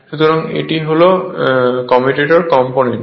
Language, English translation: Bengali, So, this is commutator component